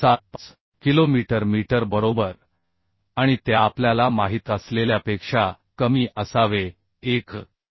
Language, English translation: Marathi, 75 kilonewton meter right and it should be less than as we know 1